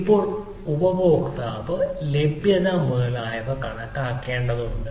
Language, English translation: Malayalam, so now consumer need to calculate the availability, etcetera